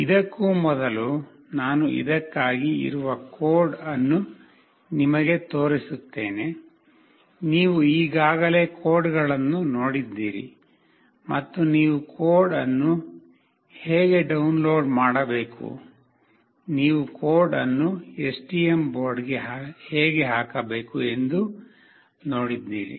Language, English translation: Kannada, Prior to that I will just show you the code that is there for this one, you already come across with the codes, how you have to download the code, how you have to put the code into the STM board